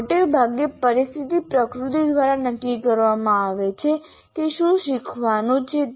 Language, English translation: Gujarati, Broadly, the situation is decided by the nature of what is to be learned